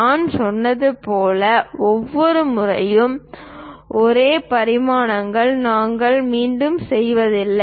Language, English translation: Tamil, And like I said, we do not repeat the same dimensions every time